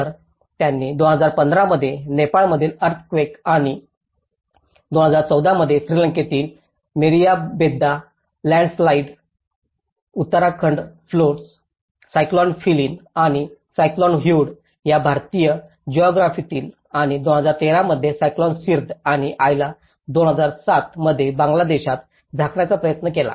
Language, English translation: Marathi, So, they have tried to cover the earthquake in Nepal in 2015 and the Meeriyabedda Landslide in Sri Lanka in 2014, the Uttarakhand Floods, Cyclone Phailin and Cyclone Hudhud from the Indian geography and which was in 2013, Cyclone Sidr and Aila in Bangladesh in 2007 and 2011 and the monsoon floods in Pakistan in 2012 and 2013